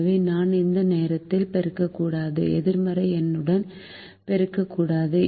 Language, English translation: Tamil, i should not multiply with the negative number